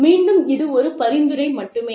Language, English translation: Tamil, And again, this is just a suggestion